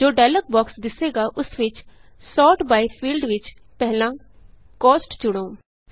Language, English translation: Punjabi, In the dialog box which appears, first select Cost in the Sort by field